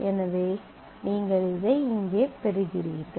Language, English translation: Tamil, So, you get this here you get this here